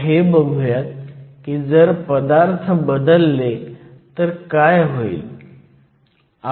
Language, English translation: Marathi, Now, let us just look at what happens if we change the material